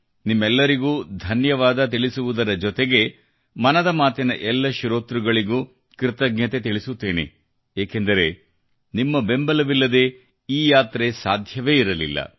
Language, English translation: Kannada, From my side, it's of course THANKS to you; I also express thanks to all the listeners of Mann ki Baat, since this journey just wouldn't have been possible without your support